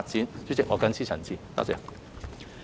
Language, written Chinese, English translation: Cantonese, 代理主席，我謹此陳辭，謝謝。, Deputy President I so submit . Thank you